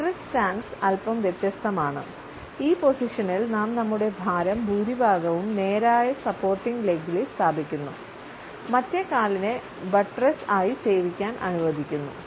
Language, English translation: Malayalam, The buttress stance is slightly different; in this stand we place most of our weight on a straight supporting leg, allowing the other leg to serve as a buttress